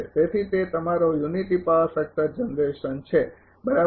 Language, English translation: Gujarati, So, it is your unity power factor generation right